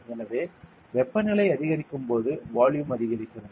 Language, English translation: Tamil, So, when the temperature increases volume also increases